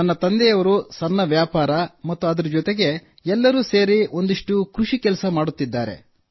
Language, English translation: Kannada, Yes my father runs a small business and after thateveryone does some farming